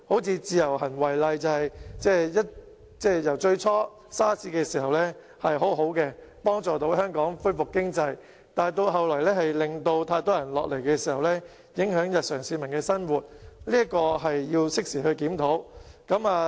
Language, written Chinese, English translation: Cantonese, 以自由行為例，最初在 SARS 的時候是很好的政策，能夠幫助香港經濟恢復，但後來由於太多人前來香港，影響了市民的日常生活，這是要適時檢討的。, Take the Individual Visit Scheme as an example . Initially it started out as a good policy during the SARS outbreak in that it could help the recovery of Hong Kong economy . But as too many people came to Hong Kong later the daily life of the public was affected and a timely review is warranted